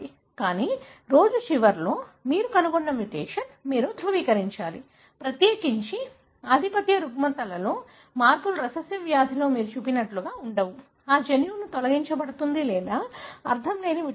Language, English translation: Telugu, But, at the end of the day, you need to validate, the mutation that you find, especially in dominant disorders where the changes are not like what you see in recessive disease; that gene is deleted or nonsense mutation